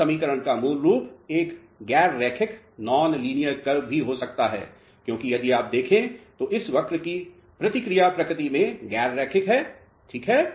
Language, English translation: Hindi, The basic form of this equation could be a non linear curve also because if you see the response of this curve is non linear in nature alright